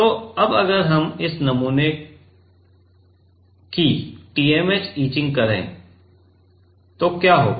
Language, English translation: Hindi, So, now if we do TMAH etching of this sample, then what will happen